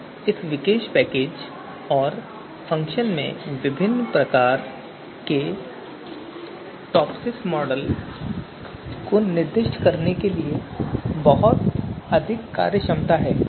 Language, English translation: Hindi, So this particular package and function has a lot of functionality to actually specify different types of TOPSIS model